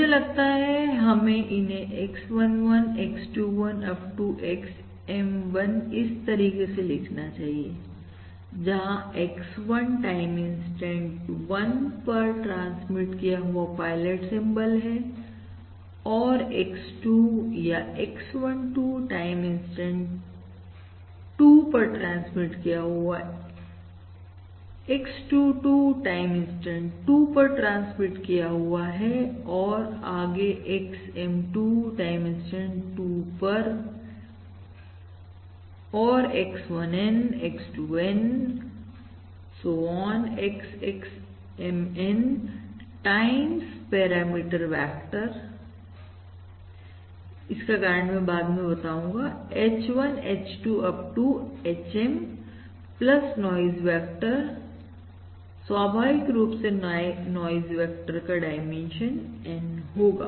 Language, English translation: Hindi, or let me write it this way: I think we have to write it as X11, X, 21, up to XM1 letter, the pilot symbols transmitted at time, instant one, and X2 or X12 transmitted at time, instant 2, X22 at time, instant 2, so on XM2 at time, instant 2, and XN1, XN2, sorry, X1N, X2, N, so on X, XMN times your parameter vector